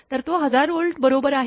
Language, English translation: Marathi, So, it is 1000 volt right